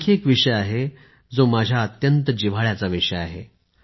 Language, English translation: Marathi, There is another subject which is very close to my heart